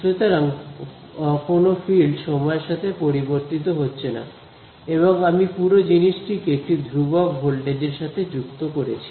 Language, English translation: Bengali, So, there are no fields that are varying in time and what I have done is I have connected this whole thing to a constant voltage